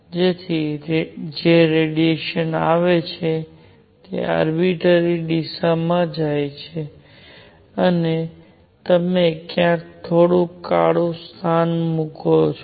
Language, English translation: Gujarati, So, that the radiation that comes in, goes in arbitrary direction and you also put a little bit of black spot somewhere